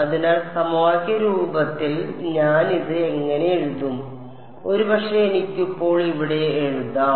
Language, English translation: Malayalam, So, in the equation form what will I write it as, I will maybe I can write it over here now